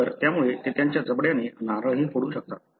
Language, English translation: Marathi, So, they can even crack a coconut with their jaw